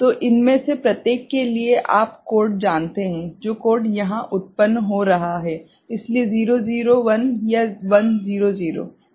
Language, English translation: Hindi, So, for each of these you know code, the code that is getting generated here; so, 0 0 1 or 1 0 0 ok